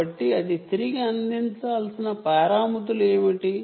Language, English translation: Telugu, so what are the parameters it will have to provide back